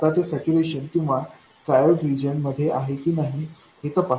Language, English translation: Marathi, Now just check whether it is in saturation or in triode region